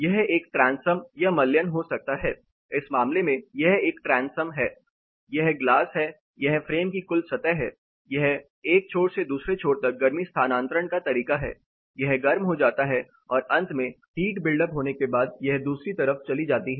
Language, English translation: Hindi, This is a transom or mullion it can be anything in this case this is a transom where this is a glass, this is a total frame surface outside versus inside, the mode of heat transfer from one end to the other end it is get heated up and eventually the heat builds up and then it moves on to the other